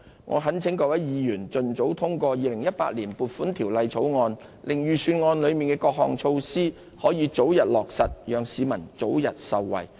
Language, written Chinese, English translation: Cantonese, 我懇請各位議員盡早通過《條例草案》，令預算案的各項措施可以早日落實，讓市民早日受惠。, I implore Members to speedily pass the Bill so that the various measures of the Budget can be implemented as soon as possible for the timely benefit of the public . I so submit